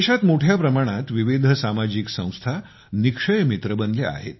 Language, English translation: Marathi, A large number of varied social organizations have become Nikshay Mitra in the country